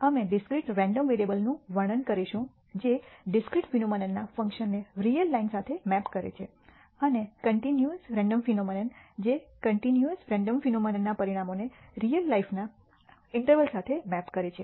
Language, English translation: Gujarati, We will describe discrete random variables that maps functions of discrete phenom ena to the real line and continuous random variable which maps outcomes of a continuous random phenomena to intervals in the real life